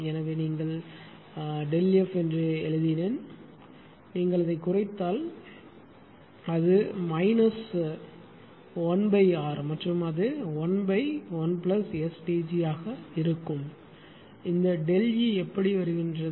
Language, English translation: Tamil, So, here I have written that it is delta F then it is minus 1 upon R if you reduce it and it will be 1 upon 1 plus ST g and this delta E how things are coming